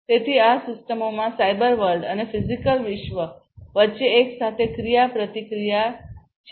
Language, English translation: Gujarati, So, there is interaction between the cyber world and the physical world together in these systems